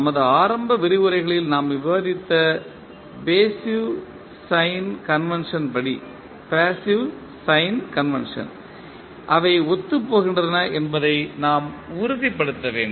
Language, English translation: Tamil, We have to make sure that they are consistent with the passive sign convention which we discussed in our initial lectures